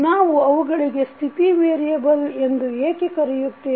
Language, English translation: Kannada, Why we call them state variable